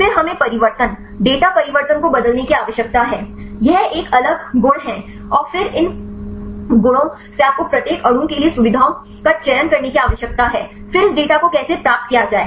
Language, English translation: Hindi, Then we need to change the transformation data transformation this is a different a properties right and then from these a properties you need to select the features right for each a molecule then how to get this data cleaning